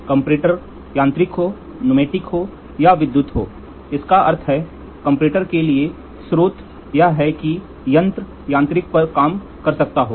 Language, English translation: Hindi, The comparator, be it Mechanical, be it Pneumatic, be it Electrical so that means, to say the source for comparator can the instrument can work on the mechanical